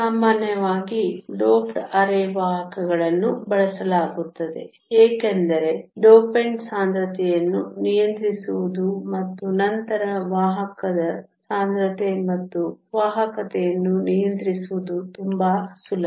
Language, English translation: Kannada, Usually doped semiconductors are used, because it is much more easier to control the dopant concentration and then control the carrier concentration and also the conductivity